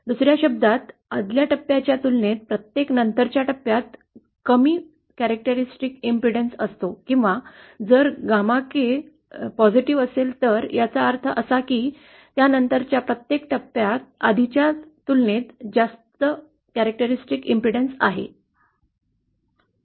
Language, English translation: Marathi, In other words every subsequent stage has a lower characteristic impudence as compared to the preceding scale or if gamma K is positive then that means every subsequent stage has higher characteristic impudence as compared to the preceding one